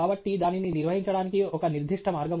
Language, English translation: Telugu, So, there is certain way in which it has to be handled